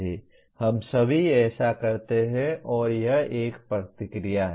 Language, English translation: Hindi, We all do that and that is affective response